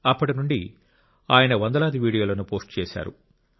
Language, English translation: Telugu, Since then, he has posted hundreds of videos